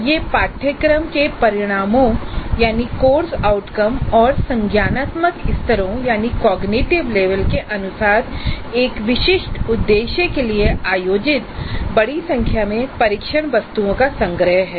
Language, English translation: Hindi, It is a collection of a large number of test items organized for a specific purpose according to the course outcomes and cognitive levels